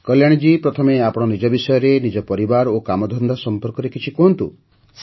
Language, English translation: Odia, Kalyani ji, first of all tell us about yourself, your family, your work